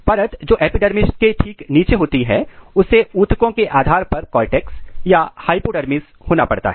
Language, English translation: Hindi, The layer which is just below the epidermis has to be cortex or hypodermis whatever depending on the tissues